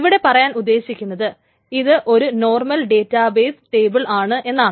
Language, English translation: Malayalam, So to highlight what I am trying to say, this is the normal database table, right